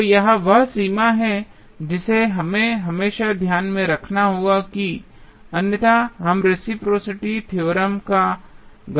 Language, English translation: Hindi, So, this is the limitation which we have to always keep in mind otherwise, we will use reciprocity theorem wrongly